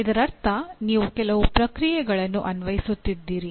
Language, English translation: Kannada, That means you are applying certain processes